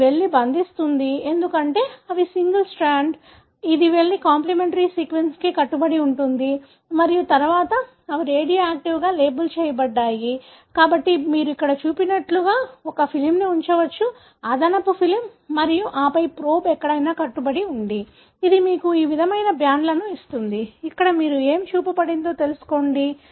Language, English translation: Telugu, So, it will go and bind, because these are single stranded, it will go and bind to the complimentary sequence and then since they are radioactively labelled, so you can put a film like what is shown here, extra film and then wherever the probe is bound, it would give you this kind of bands, something like, know, what is shown here